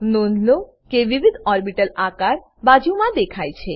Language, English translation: Gujarati, Notice the different orbital shapes displayed alongside